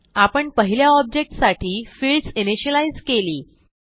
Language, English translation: Marathi, Thus we have initialized the fields for the first object